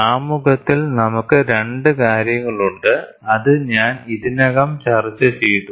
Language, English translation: Malayalam, In introduction, we also have 2 things, which I already discussed